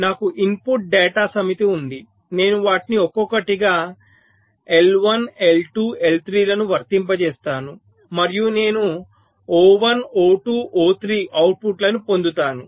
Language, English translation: Telugu, so i have a set of input data, i apply them one by one i one, i two, i three and i get the outputs: o one, o two o three